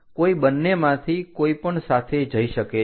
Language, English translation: Gujarati, Anyone can go with any either of them